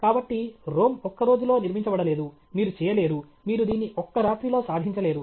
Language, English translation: Telugu, So, Rome was not built in a day; you cannot do, you cannot achieve this over night